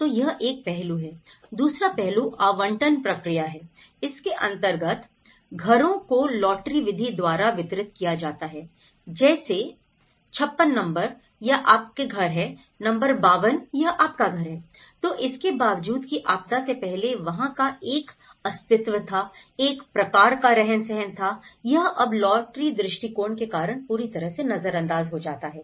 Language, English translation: Hindi, So that is one aspect, the second aspect is allocation process so, the houses are distributed by lottery method like number 56, this is your house, number 52 this is; so despite of what kind of settlement it was existed, what kind of neighbourhood fabric it was existed, it is all completely taken out due to the lottery approach